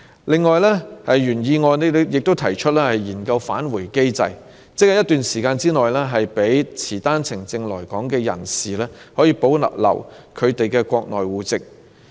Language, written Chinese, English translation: Cantonese, 另外，原議案提出研究訂立"返回機制"，亦即在一段時間內，讓持單程證來港的人士可保留他們在國內的戶籍。, It is also proposed in the original motion that a study should be made on the introduction of a return mechanism under which people coming to Hong Kong on OWPs will be allowed to retain their household registration in the Mainland for a specified period of time